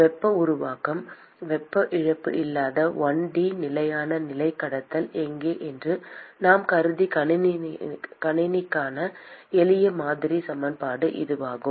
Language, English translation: Tamil, That is the simple model equation for the system that we have considered where it is a 1 D steady state conduction with no heat generation / heat loss